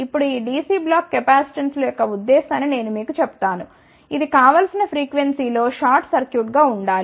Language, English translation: Telugu, Now, just you tell you the purpose of this Dc block capacitances that this should at as a short circuit at the desired frequency